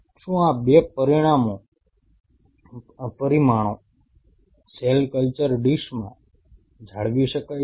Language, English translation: Gujarati, Could these 2 parameters being retain in the cell culture dish